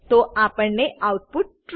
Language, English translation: Gujarati, So, we get the output as true